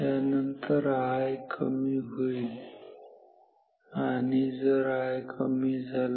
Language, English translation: Marathi, Then I will decrease and if I decreases